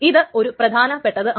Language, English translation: Malayalam, So this is an important thing